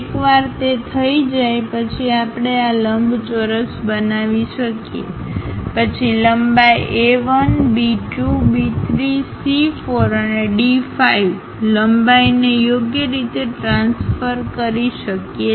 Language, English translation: Gujarati, Once that is done we can construct this rectangle, then transfer lengths A 1, B 2, B 3, C 4 and D 5 lengths appropriately